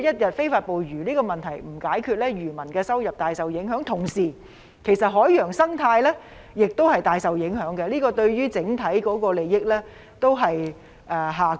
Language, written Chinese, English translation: Cantonese, 這個問題一旦未能解決，漁民收入便會受到影響，海洋生態也會大受影響，整體利益亦會下降。, While this problem remains unresolved the income of fishermen and the marine ecosystem will be immensely affected and the overall interests will diminish